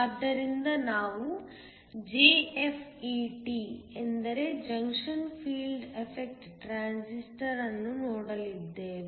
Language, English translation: Kannada, So, we are going to look at a Junction Field effect transistor called JFET